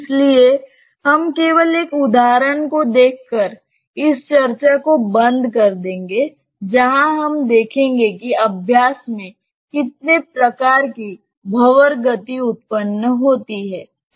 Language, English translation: Hindi, So, we will close this discussion by seeing just one maybe one example, where we will see that how thos type of vortex motion is generated in practice